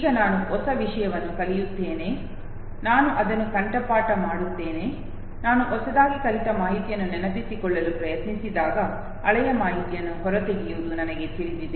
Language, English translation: Kannada, Now I learn a new thing, I memorize it, when I try to recollect the newly learned information, I somehow know extract the old information